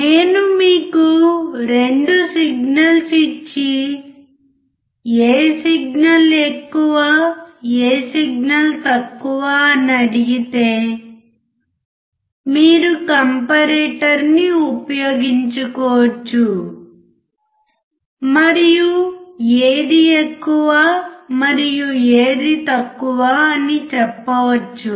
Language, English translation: Telugu, If I give you 2 signals and ask you which signal is high and which signal is low, you can use the comparator and tell which one is high and which one is low